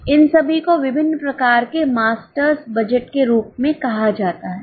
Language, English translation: Hindi, All these are called as different types of master's budget